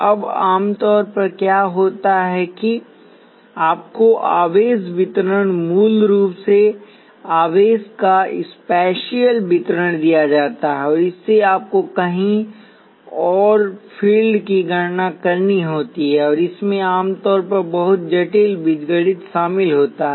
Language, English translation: Hindi, Now, usually what happens is you are given charge distribution basically the spatial distribution of charge and from that you have to calculate the fields elsewhere, and this usually involves a lot of complicated algebra